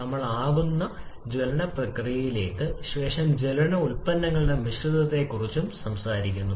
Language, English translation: Malayalam, Whereas we shall be talking about the mixture of combustion products after combustion process